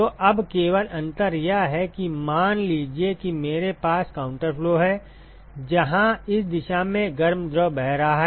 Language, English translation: Hindi, So, now, the only difference is that supposing if I have counter flow, where the hot fluid is flowing in this direction